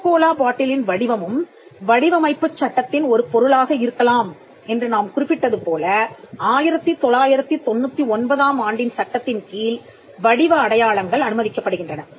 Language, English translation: Tamil, The shape marks are also allowed under the 1999 act as we just mentioned the Coca Cola bottle shape can be a subject matter of shape mark